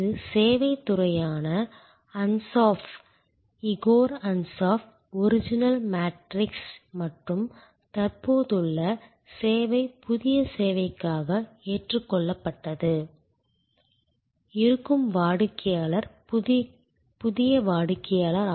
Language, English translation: Tamil, This is the adopted for the service industry Ansoff, Igor Ansoff original matrix and existing service new service; existing customer, new customer